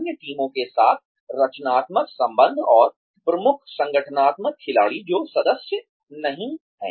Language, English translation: Hindi, Constructive relationships with other teams, and key organizational players, who are not the members